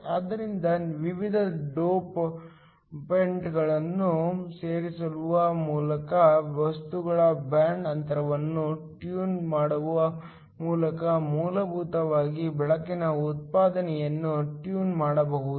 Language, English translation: Kannada, So, by tuning the band gap of the material by adding different dopants can essentially tune the light output